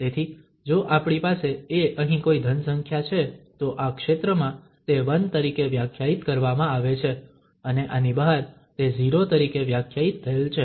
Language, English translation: Gujarati, So, if we have a here some positive number then in this region it is defined as 1 and outside this it is defined as 0